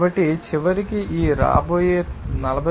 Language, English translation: Telugu, So, ultimately this coming 49